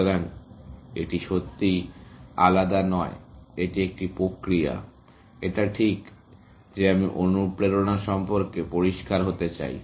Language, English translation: Bengali, So, it is not really different; it is a same process; it is just that I want to be clear on the motivation